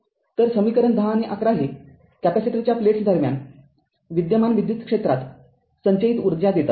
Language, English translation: Marathi, So, equation 10 and 11 give the energy stored in the electric field that exists between the plates of the capacitor